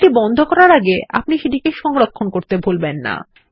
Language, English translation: Bengali, Remember to save the file before you close it